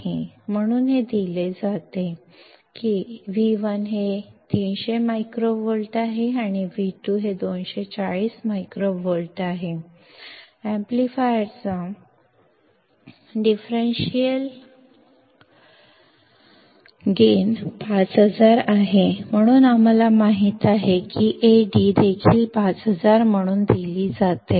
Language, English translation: Marathi, So, it is given that V1 is 300 microvolts and V2 is 240 microvolts; the differential gain of the amplifier is 5000; so, we know that A d is also given as 5000